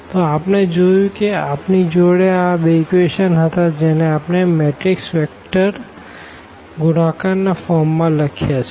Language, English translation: Gujarati, So, we have seen that we had these two equations which we have also written in the form of this matrix a vector multiplication